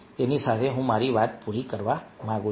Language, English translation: Gujarati, with that i would like to finish my talk